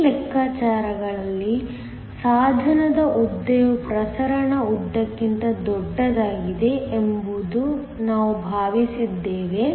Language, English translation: Kannada, In these calculations we have assumed that the length of the device is larger than the diffusion length